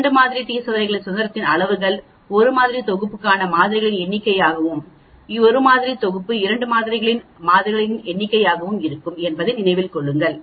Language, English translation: Tamil, In a two sample t test please remember the degrees of freedom will be number of samples for a sample set 1 and number of samples for a sample set 2 minus 2 remember that